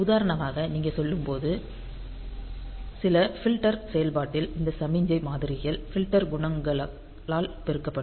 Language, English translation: Tamil, This is typically useful when you are say for example, doing some filtering operation where these signal samples are multiplied by filter coefficients